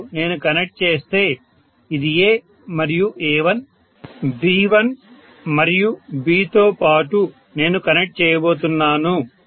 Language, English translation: Telugu, Now if I connect this is A, and A1 and along with A1, I am going to connect V1 and V, right